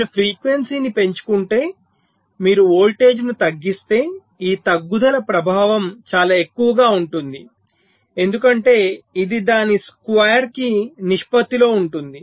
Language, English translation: Telugu, so if you increase the frequency but if you dec and decrease the voltage, the impact of this decrease will be much more because it is proportion to square of that